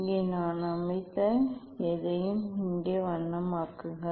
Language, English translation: Tamil, here colour whatever I have set here